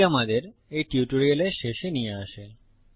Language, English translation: Bengali, This brings us to end of this tutorial